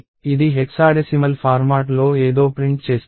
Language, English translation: Telugu, So, it is printing something in hexadecimal format